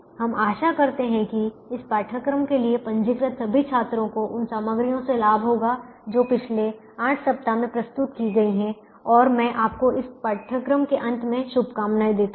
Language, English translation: Hindi, we hope that all the students have registered for this course would benefit from the material that has been presented in the last eight weeks and let me wish you all the best at the end of this course